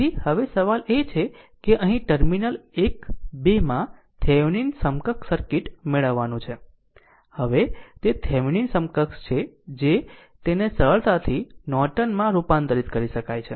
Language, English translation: Gujarati, So, now question is that here you have to obtain the Thevenin equivalent circuit in terminals 1 2 of the now it is a Thevenin equivalent is given from that you can easily transfer it to Norton